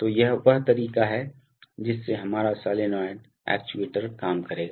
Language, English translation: Hindi, So this is the way our solenoid actuator will work